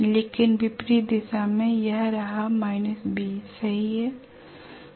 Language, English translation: Hindi, But in the opposite direction, this is going to be minus B right